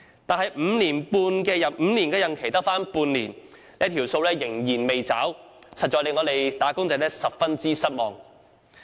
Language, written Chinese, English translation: Cantonese, 但是，其5年任期只餘下半年，承諾仍然未有兌現，實在令"打工仔"十分失望。, Now that only six months are left of his five - year tenure this promise has yet to be fulfilled . It is a great disappointment to wage earners indeed